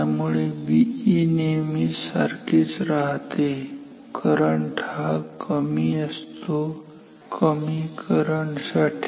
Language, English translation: Marathi, So, b e is always same; current is low for low currents